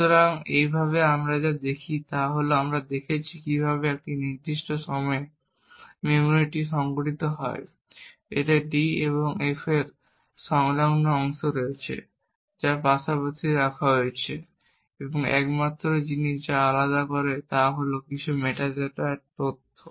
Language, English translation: Bengali, So in this way what we see is that we have seen how the memory is organized at this particular point in time, it has contiguous chunks of d and f which has placed side by side and the only thing which separates them is some metadata information for the f